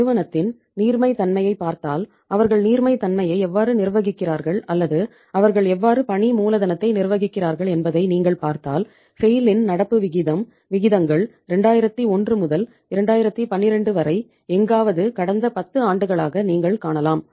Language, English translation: Tamil, And if you see the liquidity how they are managing the liquidity of the firm or how they are managing the working capital here you can see that the current ratio of the SAIL from the, ratios are somewhere from 2001 to 2012 for the past 10 years you can say